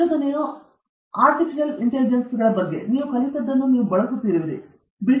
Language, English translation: Kannada, Research is all about synthetic intelligence right; whatever you have learnt, you are making use